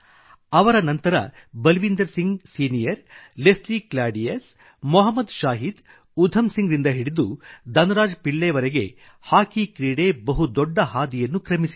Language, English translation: Kannada, Then, from Balbeer Singh Senior, Leslie Claudius, Mohammad Shahid, Udham Singh to Dhan Raj Pillai, Indian Hockey has had a very long journey